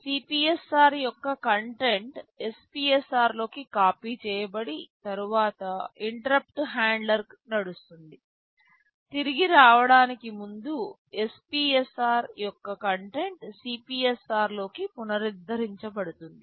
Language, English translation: Telugu, The content of the CPSR will get copied into an SPSR, then interrupt handler will run, before coming back the content of the SPSR will be restored back into CPSR